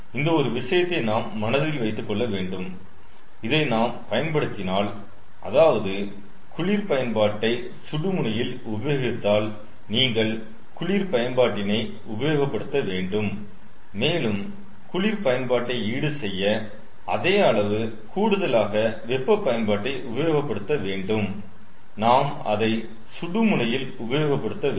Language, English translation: Tamil, so this is one thing we have to keep it in mind: that if we use, lets say, if we use cold utility at the hot end, then you have to use the cold utility and we have to use, to compensate the cold utility, same amount of additional hot utility we have to use at the hot end